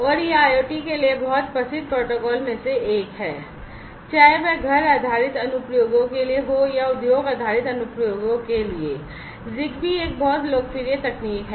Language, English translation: Hindi, And it is one of the very well known protocols for IoT, for whether it is for home based applications or for industry based applications, ZigBee is a very popular technology